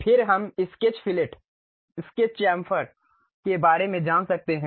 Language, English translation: Hindi, Then we can learn about Sketch Fillet, Sketch Chamfer